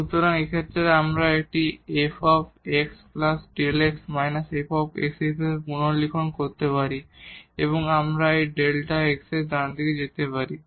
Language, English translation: Bengali, So, in this case now we can rewrite this as f x plus delta x minus f x and this delta x we can take to the right hand side